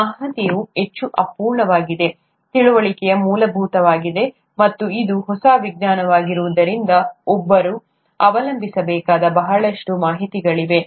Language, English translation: Kannada, Information is highly incomplete, understanding is rudimentary, and since it is a new science, there’s a lot of information that one needs to rely on